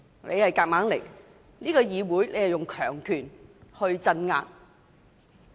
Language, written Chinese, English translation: Cantonese, 你在議會內硬來，使用強權鎮壓。, You have forced things through with a high - handed approach in the Council